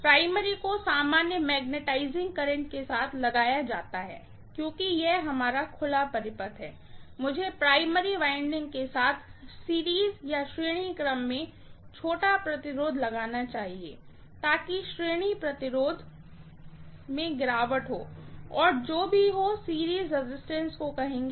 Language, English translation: Hindi, The primary is applied with the normal magnetising current because it is our open circuit, let me put the small resistance in series with the primary winding, so that the drop in the series resistance will be, whatever the series resistance, let me call that as Rs